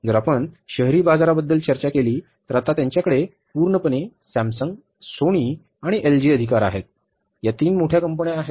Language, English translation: Marathi, If you talk about the urban markets, they are totally dominated by Samsung, Sony and LG, These three major companies